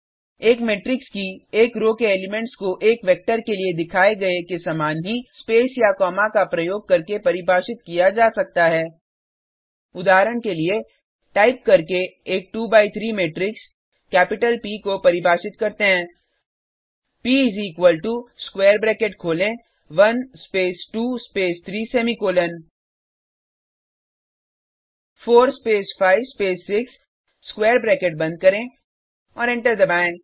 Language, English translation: Hindi, Elements of a row of a matrix, can be defined using spaces or commas similar to that shown for a vector For example,let us define a 2 by 3 matrix P by typing captital P is equal to open square bracket 1 space 2 space 3 semicolon 4 space five space 6 close the square bracket and press enter